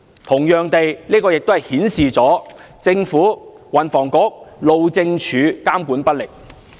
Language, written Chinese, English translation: Cantonese, 同樣地，這亦顯示了政府、運輸及房屋局、路政署監管不力。, Similarly the incident has also displayed the ineffective monitoring by the Government the Transport and Housing Bureau and the Highways Department HyD